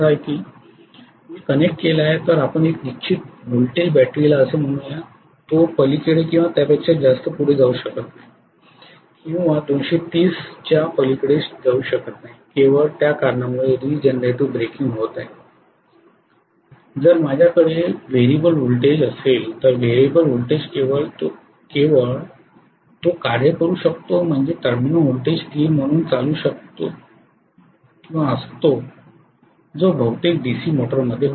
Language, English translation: Marathi, I have connected it let us say to a fixed voltage battery, it cannot go beyond or above or you know in no way it can go beyond 230 only because of that regenerative breaking is taking place, if I have a variable voltage, if I do not have a variable voltage only way it can work is having the terminal voltage as a constant which is what happens in most of the DC motor derives